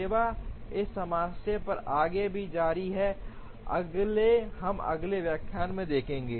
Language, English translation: Hindi, To further continue on this problem, we will see in the next lecture